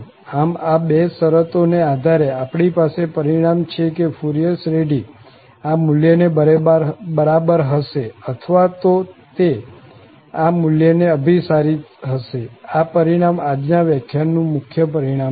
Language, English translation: Gujarati, So, under these two conditions, we have the result that this Fourier series will be equal to or it will converge to this value, this is the result, the main result of this lecture today